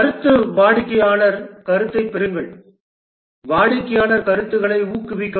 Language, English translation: Tamil, Feedback, get customer feedback, encourage customer feedback